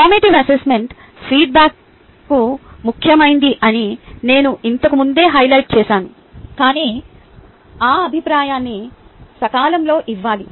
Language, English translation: Telugu, i have highlighted this earlier as well: that formative assessment feedback is the key, but that feedback needs to be given on a timely manner